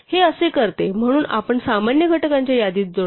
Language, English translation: Marathi, It does so we add to the list of common factors